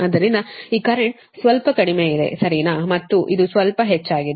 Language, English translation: Kannada, so this current is slightly less right and this is so